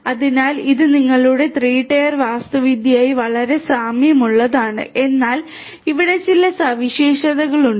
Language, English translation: Malayalam, So, it is very similar to your 3 tier architecture, but here there are certain properties